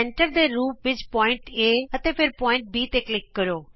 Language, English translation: Punjabi, Click on the point A as centre and then on point B